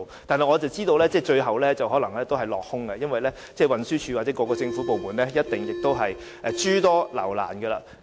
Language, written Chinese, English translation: Cantonese, 然而，我知道有關的建議最後可能會落空，因為運輸署或各政府部門一定會諸多留難。, I know that the relevant proposal might fall through in the end as the Transport Department or various government departments will definitely make things difficult for the organization